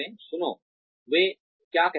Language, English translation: Hindi, Listen to, what they say